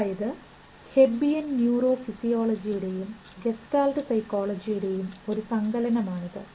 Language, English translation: Malayalam, So is it a marriage of Hebbian neurophysiology with Gestile psychology